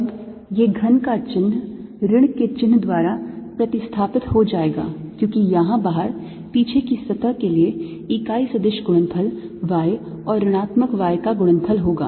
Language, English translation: Hindi, now this plus going to replace by minus, because the unit vector product out here is going to be y times minus y for the back surface